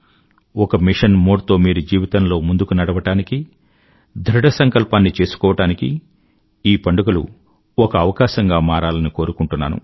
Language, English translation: Telugu, These festivals prove a chance to advance in a mission mode and to make firm resolves in your life